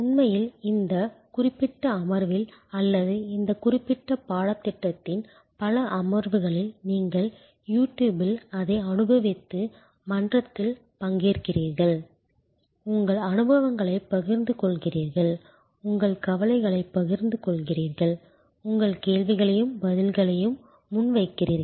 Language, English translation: Tamil, In fact, in this particular session or many of the session of this particular course as you enjoy it on YouTube and you participate in the forum and you share your experiences and you share your concerns and you put forward your questions and answers are given by your colleagues participating in this course, we are in the process of co creation of knowledge